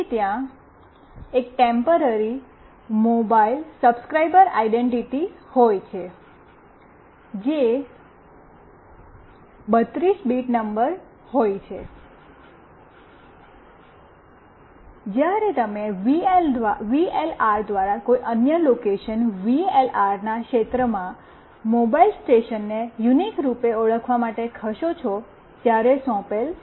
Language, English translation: Gujarati, Then there could be a Temporary Mobile Subscriber Identity, which is a 32 bit number that is assigned when you move to some other location by VLR to uniquely identify a mobile station within a VLR’s region